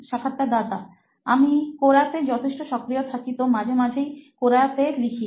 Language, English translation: Bengali, So I am active on Quora, so sometimes I do write on Quora